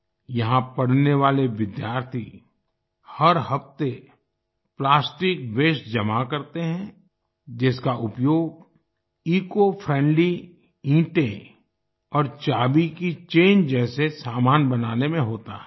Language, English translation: Hindi, The students studying here collect plastic waste every week, which is used in making items like ecofriendly bricks and key chains